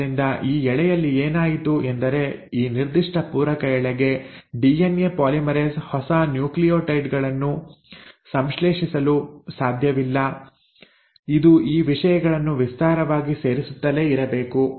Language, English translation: Kannada, So in this strand what has happened is for this particular complementary strand the DNA polymerase cannot, at a stretch, synthesize the new nucleotides; it has to keep on adding these things in stretches